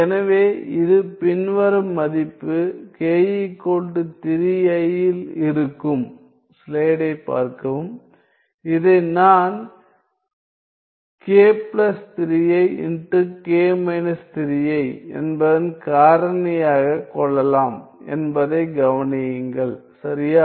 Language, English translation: Tamil, So, this will be at this following value k equal to 3 i; notice that I can factor this into k plus 3 i k minus 3 i right